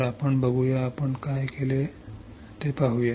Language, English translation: Marathi, So, let us see let us see what we have done